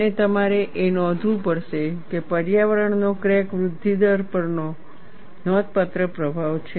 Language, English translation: Gujarati, And you will have to keep it note, that environment has a significant influence on crack growth rate